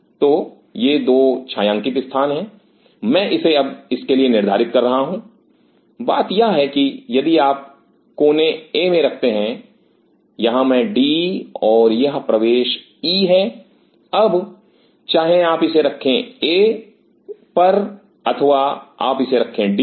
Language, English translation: Hindi, So, these are the 2 shaded places I am designating for it now, the thing is that whether you put in corner A so I am, D and this is the entry E now, whether you place it at A or whether you place is at D